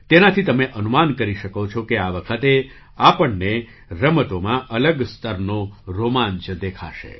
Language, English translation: Gujarati, From this, you can make out that this time we will see a different level of excitement in sports